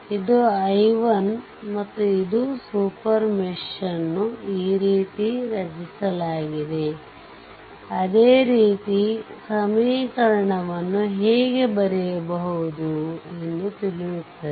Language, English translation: Kannada, So, this is your i 1 and this is super mesh is created this way same equation I showed you how to write